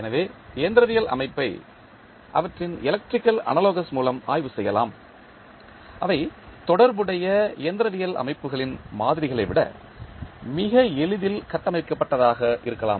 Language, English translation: Tamil, So, the mechanical system can be studied through their electrical analogous, which may be more easily structured constructed than the models of corresponding mechanical systems